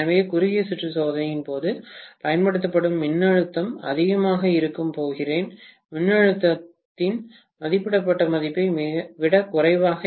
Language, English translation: Tamil, So, I am going to have essentially the voltage applied during the short circuit test to be much much lower than the rated value of voltage